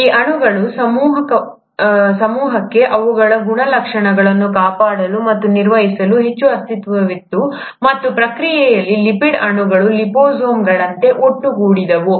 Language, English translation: Kannada, There was far more entity for these cluster of molecules to kind of guard and maintain their properties, and in the process what would have happened is that lipid molecules would have assembled like liposomes